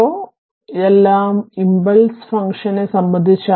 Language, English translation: Malayalam, So, this is all regarding impulse function